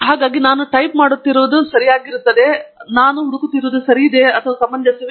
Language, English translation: Kannada, So, what I am typing, therefore, is right; what I am looking for, it makes sense